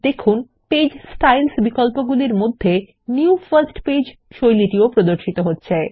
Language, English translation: Bengali, Notice that new first page style appears under the Page Styles options